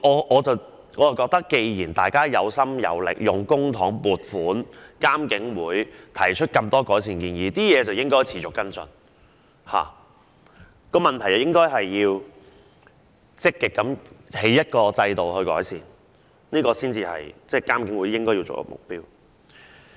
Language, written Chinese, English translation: Cantonese, 我認為既然大家有心有力，亦有公帑撥款，而監警會亦提出多項改善建議，便應持續跟進相關情況，亦應積極建立改善制度，才是監警會應有的目標。, In my view since they have both ends and means with public funding allocated and that IPCC has also made a number of recommendations on improvement IPCC should seek to continuously follow up on the situation and proactively set up an improvement system